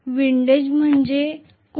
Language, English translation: Marathi, What is windage